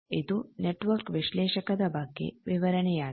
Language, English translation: Kannada, So, this is about network analyzer